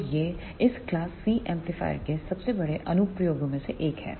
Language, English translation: Hindi, So, this is one of the biggest application of these class C amplifier